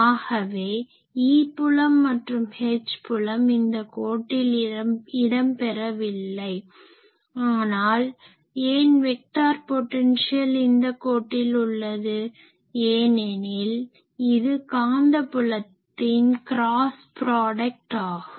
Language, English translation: Tamil, So, E field and H field does not exists along this line, actually that is why vector potential exists along this line, because vector potential is cross product of magnetic field ok